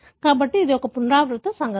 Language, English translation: Telugu, So, therefore it is a recurrent event